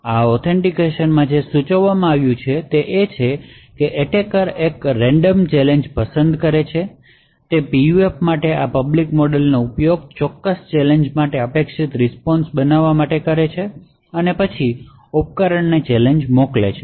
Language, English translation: Gujarati, Therefore, in this form of authentication what is suggested is that the attacker picks out a random challenge, uses this public model for the PUF to obtain what an expected response for that particular challenge and then sends out the challenge to the device